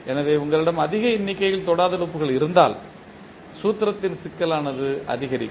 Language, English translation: Tamil, So, if you have larger number of non touching loops the complex of the formula will increase